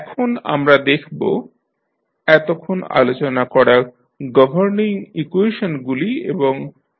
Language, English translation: Bengali, Now, let us see what are the governing equations and the laws we have discussed till now